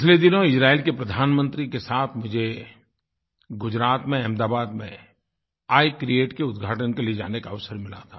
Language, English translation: Hindi, A few days ago, I got an opportunity to accompany the Prime Minister of Israel to Ahmedabad, Gujarat for the inauguration of 'I create'